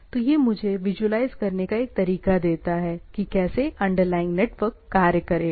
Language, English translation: Hindi, So, it is gives me a way to visualize that how that underlying things will be there